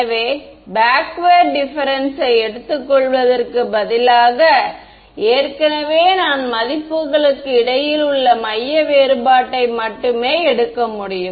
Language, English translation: Tamil, So, I am saying instead of taking the backward difference I take centre difference centre difference I can only take between the values that I already have right